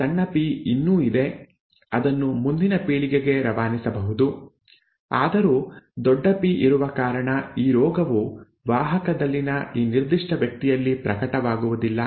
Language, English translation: Kannada, The small P is still there, that can be passed on to the next generation although because of the capital P this disease may not manifest in this particular person in the carrier